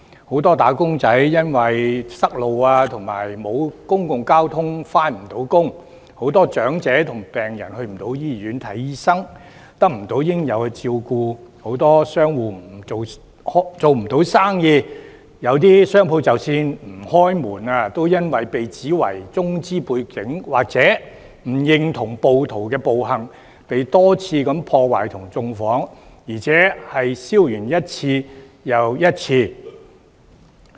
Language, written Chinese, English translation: Cantonese, 很多"打工仔"因為堵路及沒有公共交通工具而未能上班，很多長者和病人去不到醫院看病、得不到應有的照顧，很多商戶做不到生意，有些商戶即使不開門，仍然因為被指為中資背景或不認同暴徒的暴行而被多次破壞和縱火，而且燒完一次又一次。, Many elderly people and patients could not go to hospitals to receive the medical attention or care services they needed . Many shops could not do business . Some shops although already closed were repeatedly vandalized and burnt down because of their Chinese background or their disapproval of the violent acts of the rioters